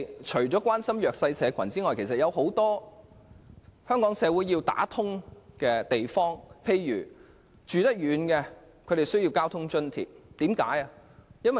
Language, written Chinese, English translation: Cantonese, 除了關心弱勢社群外，香港社會在其他方面亦有很多需要處理的問題。, Apart from showing care for the disadvantaged the Hong Kong society also has to deal with many other issues